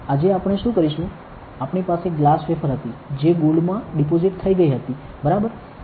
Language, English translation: Gujarati, Today, what we will do is, I had we had a glass wafer that was deposited with gold, ok